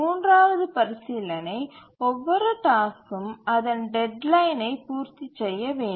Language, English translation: Tamil, The third consideration is every task must meet its deadline